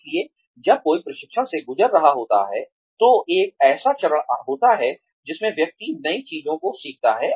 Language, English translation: Hindi, So, when one is going through training, there is a phase in which, one learns new things